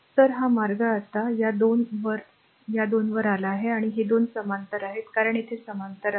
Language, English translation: Marathi, So, this way it is coming now this at this 2 at this 2 and this 2 are in parallel because there in parallel